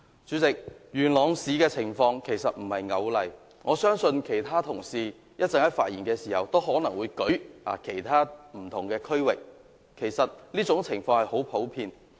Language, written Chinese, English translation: Cantonese, 主席，元朗市的情況並非單一的例子，我相信其他同事在稍後發言時，亦可能會舉出其他不同地區的例子，這種情況其實十分普遍。, President Yuen Long New Town is not a unique example and I believe colleagues will cite examples of various other districts when they speak later on as this is a pretty common phenomenon